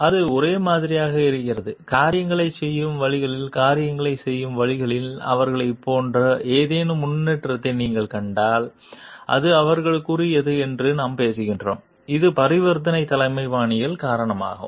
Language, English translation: Tamil, And it is a like and if you see any improvement in it like they in the ways of doing things in the ways things are getting performed then we talk of it is due to the; it is due to the transactional leadership style